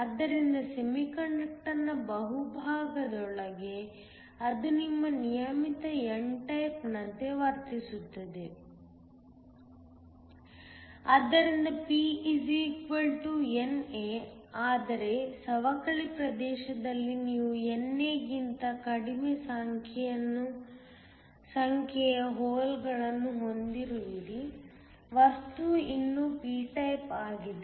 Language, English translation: Kannada, So, within the bulk of the semiconductor it behaves as your regular n type, so P = NA, but in the depletion region you have less number of holes less than NA, the material is still p type